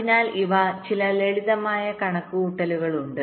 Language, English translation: Malayalam, so these are some simple calculations